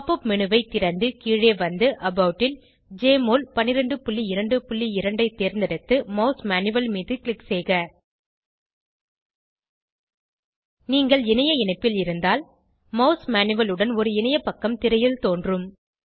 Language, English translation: Tamil, Open the Pop up menu and scroll down to About then select Jmol 12.2.2 and click on Mouse Manual If you are connected to the Internet, a web page with Mouse manual appears on the screen